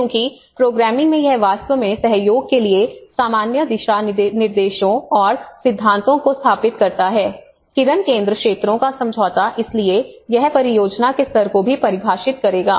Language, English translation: Hindi, Because in the programming it actually sets up the general guidelines and principles for cooperation, agreement of focus areas so it will also define the project lay